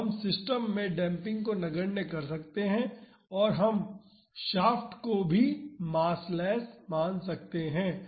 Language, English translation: Hindi, So, we can neglect the damping in the system and we can treat the shaft as massless